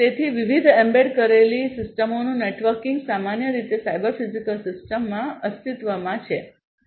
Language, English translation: Gujarati, So, the networking of different embedded systems will typically exist in a cyber physical system